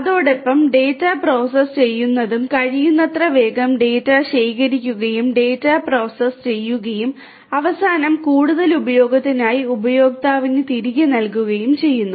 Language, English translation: Malayalam, And also correspondingly processing of the data as soon as possible the data are collected as quickly as possible the data are collected processing of the data and eventually feeding it back to the user for further use